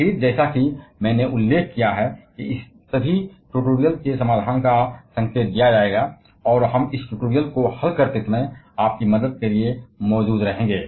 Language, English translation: Hindi, Again, as I mentioned hint towards the solution of all this tutorials will be given, and we shall be there for helping you while solving this tutorials